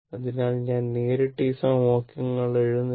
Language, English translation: Malayalam, So, I am not just directly I am writing those equations right